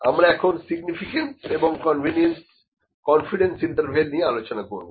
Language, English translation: Bengali, We will discuss about significance and confidence intervals